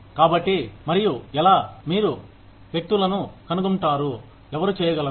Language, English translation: Telugu, So, and how do you find people, who can do that